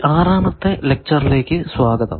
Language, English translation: Malayalam, Welcome to the sixteenth lecture